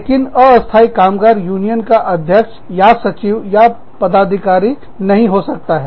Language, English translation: Hindi, But, the temporary worker, cannot be the president, or the secretary, or an office bearer, of the union